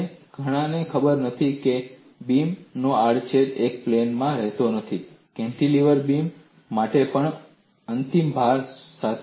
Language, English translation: Gujarati, And many may not know that the cross section of the beam does not remain in one plane, even for a cantilever beam with an end load